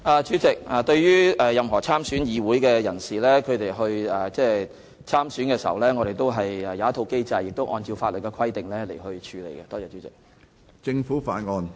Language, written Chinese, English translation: Cantonese, 主席，對於任何有意參選立法會選舉的人士，我們設有一套既定機制，會按照法例的規定來處理他們的申請。, President we have an established mechanism in place to process the application of all people who intend to run in the Legislative Council election in accordance with the law